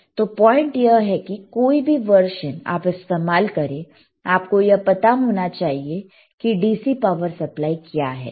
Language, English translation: Hindi, The the point is that, any version you use, you should know what is the DC power supply, all right